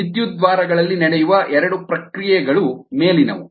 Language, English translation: Kannada, these are two reactions that take place at the electrodes